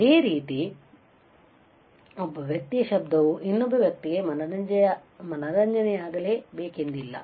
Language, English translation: Kannada, Similarly, a noise for one person cannot be can be a entertainment for other person all right